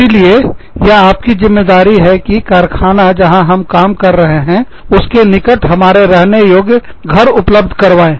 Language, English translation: Hindi, So, it is your job, to provide us, with livable houses, somewhere near the factory, that we are working in